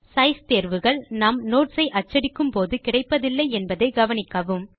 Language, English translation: Tamil, Notice that the Size options are not available when we print Notes